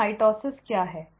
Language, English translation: Hindi, So what is mitosis